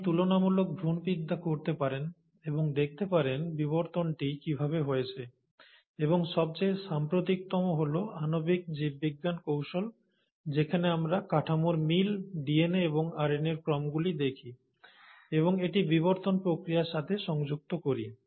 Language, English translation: Bengali, So you can do comparative embryology and try it group and see how evolution must have taken place, and the most recent is the advancements in molecular biology techniques wherein we are looking at the similarities in structure, the sequences of DNA and RNA, and are linking it to the process of evolution